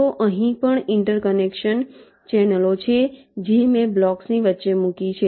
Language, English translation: Gujarati, so here also there are interconnection channels which i have placed in between the blocks